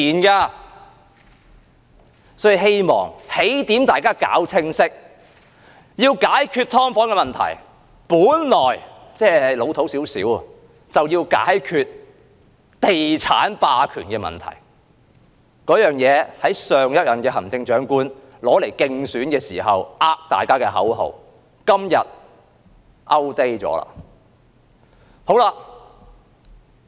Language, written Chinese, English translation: Cantonese, 因此，我希望大家搞清楚起點，要解決"劏房"的問題，本來就要解決地產霸權的問題，儘管這說法是老土一點，而這也是上一任行政長官競選時欺騙大家的口號，今天已經過時。, Hence I hope Members will know clearly where to start . The solution to the problem of subdivided units is fixing the problem of real estate hegemony . Although this suggestion seems to be slightly old school and that it has been used by the previous Chief Executive as his election slogan to cheat the public this is outdated nowadays